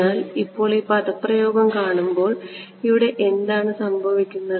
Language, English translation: Malayalam, But now when you look at this expression what happens over here